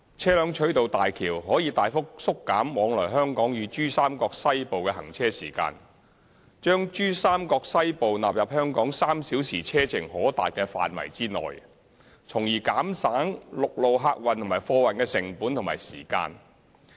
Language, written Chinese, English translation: Cantonese, 車輛取道大橋可大幅縮減往來香港與珠三角西部的行車時間，將珠三角西部納入香港3小時車程可達的範圍內，從而減省陸路客運和貨運的成本和時間。, With HZMB the travelling time between Hong Kong and the Western Pearl River Delta Region will be reduced substantially and thereby bringing the Western Pearl River Delta Region into an area that is accessible from Hong Kong within three hours drive . This will reduce the costs and time for the transportation of commuters and goods on roads